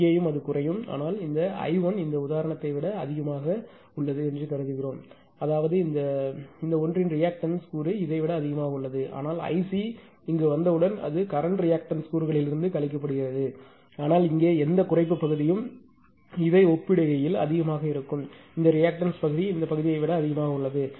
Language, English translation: Tamil, Here also it will decrease, but this I 1 is higher than ah this one ah for this example say; that means, the reactive component of this one is higher than this one but as soon as this I c is coming here also, it will be subtracted from the reactive component of the current but whatever reduction part ah here will be much more compared to this one because this reactive part is higher than this part